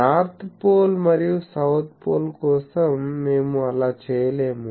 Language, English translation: Telugu, We cannot do that for North Pole and South Pole